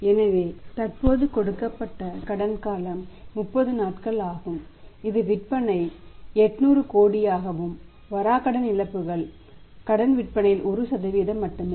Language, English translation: Tamil, So, currently the credit period given is 30 days when the sales are 800 crore and better clauses are only 1% of the credit sales